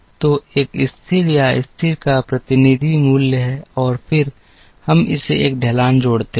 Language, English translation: Hindi, So, a t is the representative value of the level or the constant and then we add a slope to it